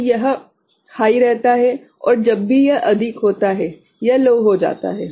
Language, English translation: Hindi, So, this is remaining high and whenever it exceeds it, it goes low ok